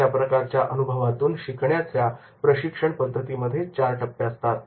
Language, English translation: Marathi, Experiential learning training programs have four stages